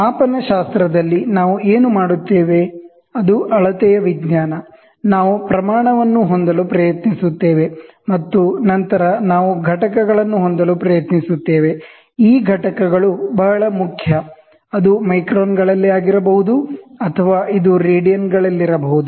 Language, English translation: Kannada, See in metrology, what we do is we it is a science of measurement, here what we do is, we will try to have magnitude, and then we will try to have a units, these units are very very important, ok, it can be in microns, it can be in radians